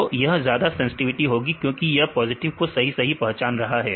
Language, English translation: Hindi, So, this is high sensitivity; it is correctly identifying the positives